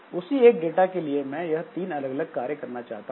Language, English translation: Hindi, So, for the same data, I want to do three different jobs